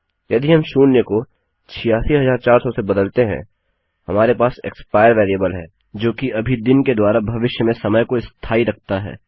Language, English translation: Hindi, So if I replace zero with 86400, we have the variable expire that now holds the time in the future by a day